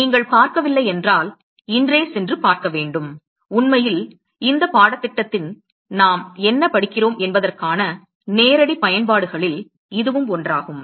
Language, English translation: Tamil, If you not seen you should go and see it today, it is actually one of the direct applications of what we are actually studying in this course